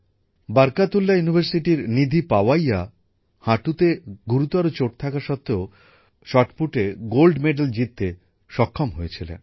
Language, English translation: Bengali, Nidhi Pawaiya of Barkatullah University managed to win a Gold Medal in Shotput despite a serious knee injury